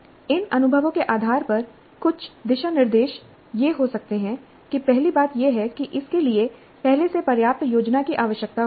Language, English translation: Hindi, Based on these experiences, some of the guidelines can be that the first thing is that it requires substantial planning in advance